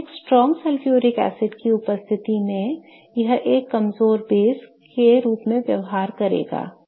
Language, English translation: Hindi, So, in presence of a strong sulfuric acid, it is going to behave as a weak base and it is going to attack the sulfuric acid